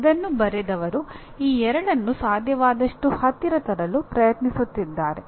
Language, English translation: Kannada, Here is someone who has written these two trying to bring them as close to each other as possible